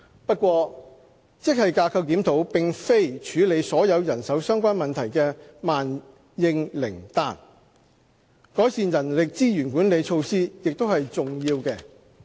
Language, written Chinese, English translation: Cantonese, 不過，職系架構檢討並非處理所有人手相關問題的萬應靈丹，改善人力資源管理措施也是重要的。, However GSR is not a panacea for all kinds of manpower - related issues . It is equally important to improve on human resources management measures